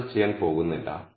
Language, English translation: Malayalam, I am not going to do that